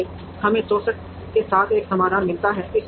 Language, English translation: Hindi, Therefore, we get a solution with 64